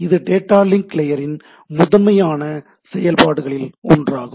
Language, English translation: Tamil, So, this is the data link layer consideration, primarily one of the functions which it does